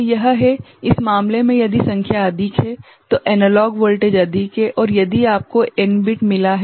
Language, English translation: Hindi, So, this is, in this case if the number is more the analog voltage is more and if you have got n bit